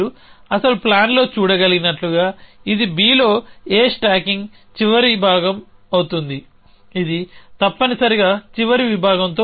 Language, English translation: Telugu, No as you can see in the actual plan this will be the last section stacking A on B that will necessarily with a last section